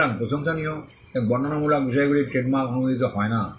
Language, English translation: Bengali, So, laudatory and descriptive matters are not granted trademark